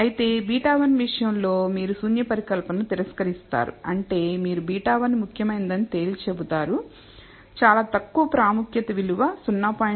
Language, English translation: Telugu, Whereas, in the case of beta 1 you will reject the null hypothesis which means you will conclude that beta 1 significant even if you choose very low significance value 0